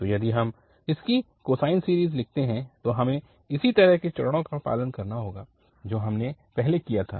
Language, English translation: Hindi, So, if we write its cosine series with the similar steps, we have to follow what we have done before